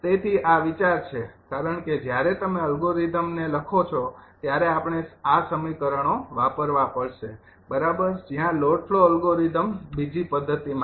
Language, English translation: Gujarati, so this is the idea, because when you write the algorithm, we have to, we have to use this equations, right where load flow algorithm